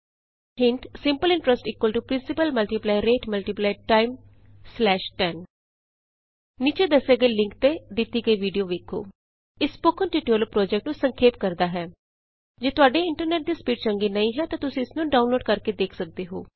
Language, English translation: Punjabi, Hint: principal * rate * time upon 100 Watch the video available at the link shown below It summarises the Spoken Tutorial project If you do not have good bandwidth, you can download and watch it